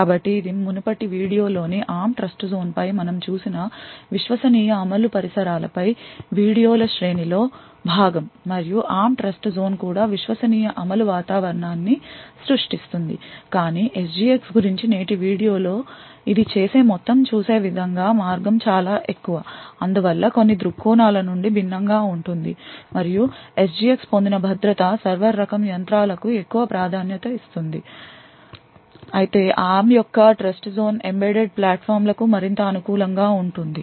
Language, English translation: Telugu, So this is part of series of videos on trusted execution environments we looked at the ARM Trustzone in the previous video and the ARM Trustzone also creates a trusted execution environment but as will see in today’s video about SGX the entire way of doing it would be much different therefore from some perspective the guarantee is obtain and the security obtained by SGX would be much more preferred for server type of machines while ARM’s Trustzone is more suited for the embedded platforms so on